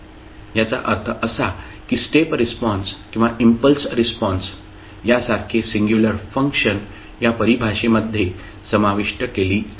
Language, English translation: Marathi, That means that the singularity functions like step response or impulse response are incorporated in this particular definition